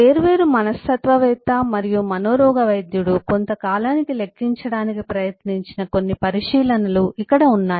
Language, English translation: Telugu, and here some of the observations that eh eh, different psychologist and physiatrist have eh tried to quantify over a period of time